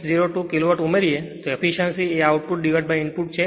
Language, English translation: Gujarati, 602 kilo watt therefore efficiency output by input